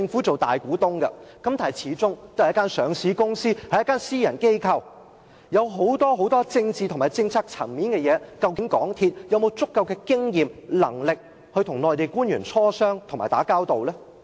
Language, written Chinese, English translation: Cantonese, 在管理邊境禁區時，港鐵公司可能會遇上許多政治和政策層面的事，究竟它是否有足夠經驗及能力，與內地官員磋商及打交道呢？, MTRCL may run into many political and policy issues in its administration of the frontier closed area . Does it have the necessary experience and capability to negotiate and work with the Mainland officials?